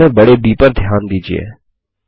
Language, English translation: Hindi, Notice the capital B in books